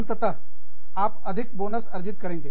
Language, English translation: Hindi, And, you end up, getting a higher bonus